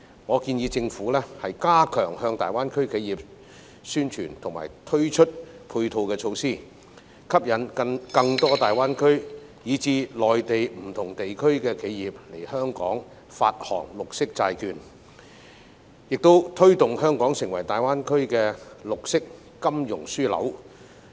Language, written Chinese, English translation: Cantonese, 我建議政府加強向大灣區企業宣傳及推出配套措施，吸引更多大灣區以至內地不同地區的企業來香港發行綠色債券，亦推動香港成為大灣區的綠色金融樞紐。, I suggest the Government should strengthen publicity and introduce coupling measures to enterprises in GBA . This would attract more enterprises in GBA and different parts of the Mainland to issue green bonds in Hong Kong and promote Hong Kong as the green financial hub in GBA